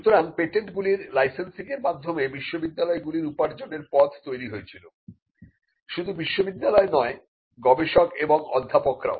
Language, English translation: Bengali, So, licensing of patents became a revenue for universities, but not just the universities, but also for the researchers and the professors